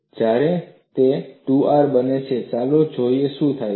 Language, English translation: Gujarati, When it becomes 2R, let us see what happens